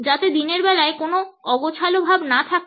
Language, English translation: Bengali, So, that there is no fuzziness during the day